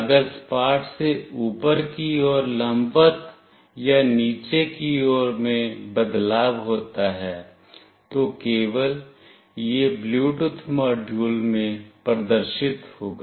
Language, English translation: Hindi, If there is a change from flat to vertically up or vertically down, then only it will get displayed in the Bluetooth module